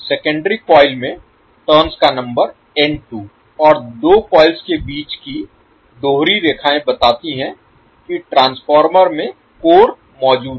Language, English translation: Hindi, Number of turns in secondary coil as N 2 and the double lines in between two coils shows that the core is present in the transformer